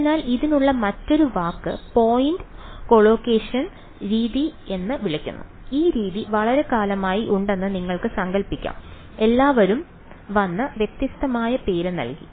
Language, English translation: Malayalam, So, another word for this is called point collocation method, you can imagine this method has been around for such a long time everyone has come and given it a different name ok